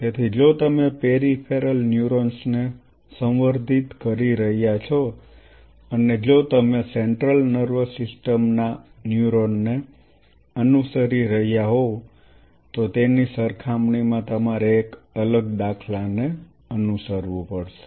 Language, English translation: Gujarati, So, if you are culturing peripheral neurons and you have to follow a different paradigm as compared to if you are following a central nervous system neuron